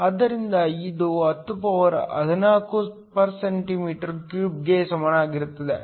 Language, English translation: Kannada, So, that this is equal to 1014 cm 3